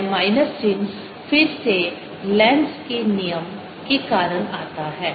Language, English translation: Hindi, this minus sign again comes because of lenz's is law